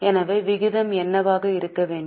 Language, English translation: Tamil, So, what should be the ratio